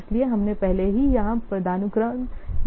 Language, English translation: Hindi, So, we have already seen what the hierarchy somewhere else here